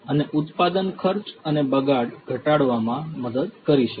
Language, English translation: Gujarati, And can help in reducing the production cost and wastage